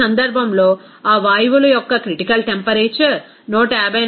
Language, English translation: Telugu, In this case, given that the critical temperature of that gases is 154